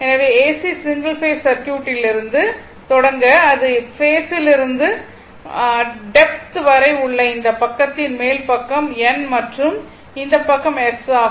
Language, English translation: Tamil, So, to start with AC single phase circuit, I thought this will be the base to depth this side is upper side is N and this side is S right